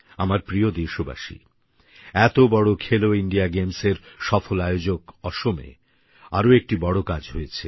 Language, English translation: Bengali, My dear countrymen, Assam, which hosted the grand 'Khelo India' games successfully, was witness to another great achievement